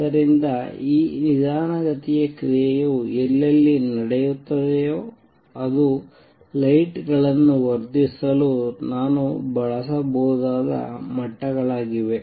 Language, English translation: Kannada, So, wherever this slow action taking place that is those are going to be the levels for which I can use to amplify the lights